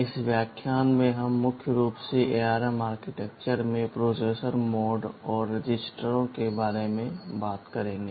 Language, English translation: Hindi, In this lecture we shall be mainly talking about the processor modes and registers in the ARM architecture